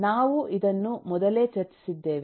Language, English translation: Kannada, we have discussed this at the end